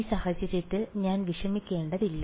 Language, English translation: Malayalam, So, in this case I do not have to worry about